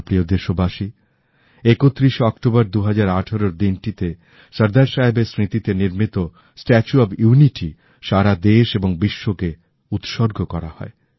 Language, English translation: Bengali, My dear countrymen, the 31st of October, 2018, is the day when the 'Statue of Unity',in memory of Sardar Saheb was dedicated to the nation and the world